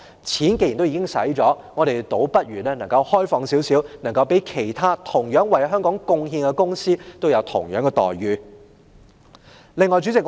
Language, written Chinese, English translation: Cantonese, 既然錢已經花了，我們倒不如開放一點，讓其他同樣為香港貢獻的公司得到相同待遇。, Since money has already been spent we had better be more open and let other companies which have similarly contributed their efforts to Hong Kong enjoy equal treatment